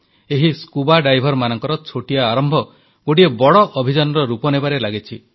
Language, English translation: Odia, This small beginning by the divers is being transformed into a big mission